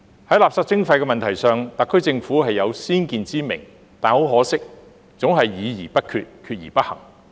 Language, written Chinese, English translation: Cantonese, 在垃圾徵費的問題上，特區政府是有先見之明，但可惜總是議而不決，決而不行。, On the issue of waste charging the SAR Government does have foresight but regrettably it always holds discussions without making decisions and makes decisions without taking action